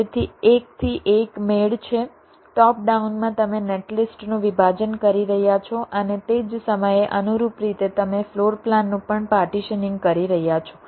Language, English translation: Gujarati, top down, you are partitioning the netlist and at the same time, in a corresponding fashion, you are also partitioning the floor plan